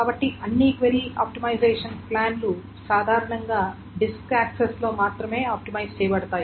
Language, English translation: Telugu, So all the query optimization plans generally optimize only on the disk access